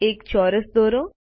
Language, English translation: Gujarati, Draw a square